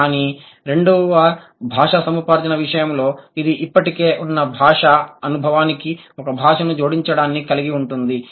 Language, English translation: Telugu, But in case of second language acquisition, it involves adding a language to once already existing experience, already existing linguistic experience